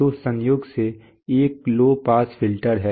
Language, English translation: Hindi, So it is a low pass filter incidentally, so this is